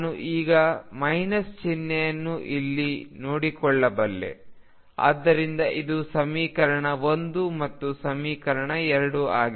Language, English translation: Kannada, I can take care of this minus sign by it here, so this is equation 1 and equation 2